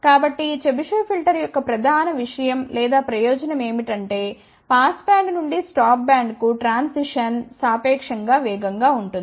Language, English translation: Telugu, So, the main point of the advantage of this Chebyshev filter is that the response from the pass band to the stop band the transition is relatively faster